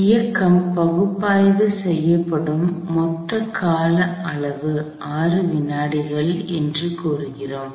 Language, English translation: Tamil, So, we have told that the total span of time over which the motion is being analyzed is 9 seconds